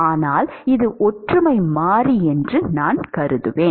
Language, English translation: Tamil, But I will assume that this is the similarity variable